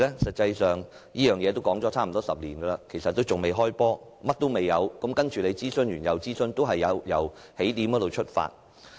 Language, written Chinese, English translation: Cantonese, 實際上，有關方案已說了差不多10年，但仍未開始實行，當局只是不斷諮詢，不斷由起點出發。, In fact the relevant proposals have been discussed for almost 10 years but they have yet to be implemented . The authorities have merely kept launching consultations and kept going back to square one